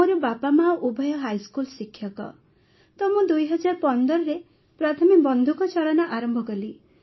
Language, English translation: Odia, Both my parents are high school teachers and I started shooting in 2015